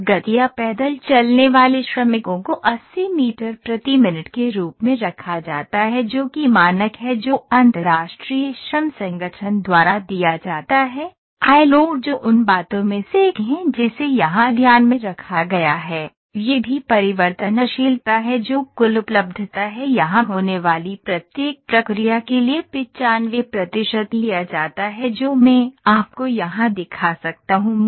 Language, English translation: Hindi, And the workers strolling speed or walking speed is kept as 80 meters per minute which is the standard that is given by International Labour Organization: ILO that is one of the things that is taken into consideration here, also the variability that is the total availability is taken as 95 percent for each of the processes here that I can show you here